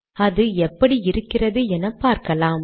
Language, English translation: Tamil, Let us see what this looks like